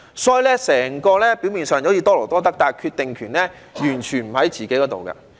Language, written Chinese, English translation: Cantonese, 所以，整體運作表面上是多勞多得，但決定權完全不在外賣員自己身上。, It looks like the overall operation is more work brings more money but then the decision is utterly not in the hands of takeaway delivery workers